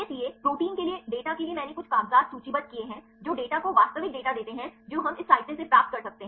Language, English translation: Hindi, So for the data for the proteins right I listed some of the papers which give the data actual data we can get from this literature